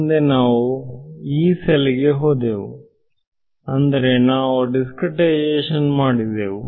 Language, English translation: Kannada, Next we went to Yee cell right in other words we discretized right